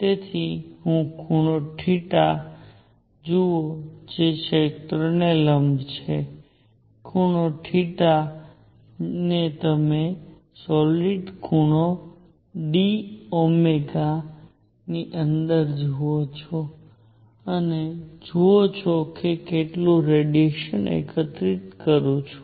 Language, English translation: Gujarati, So, let me look at an angle theta for perpendicular to the area, look at an angle theta into solid angle d omega and see how much radiation do I collect